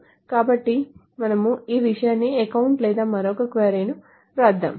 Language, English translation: Telugu, So we can say account this thing or also let us write down another query